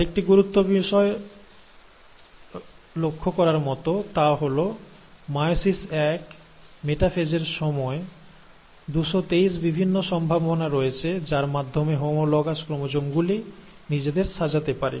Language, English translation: Bengali, The other important thing to note is that in meiosis one, during the process of metaphase, there is various, 223 possibilities by which these homologous chromosomes can arrange themselves